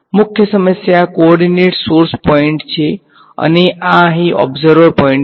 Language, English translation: Gujarati, So, the prime coordinates are the source points and this over here is the observer point